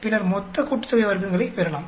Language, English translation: Tamil, Then we can get total sum of squares also